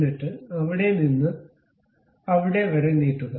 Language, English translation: Malayalam, Then extend it from there to there